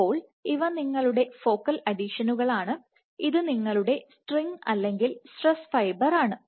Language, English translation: Malayalam, So, these are your focal adhesions and this is your string or stress fiber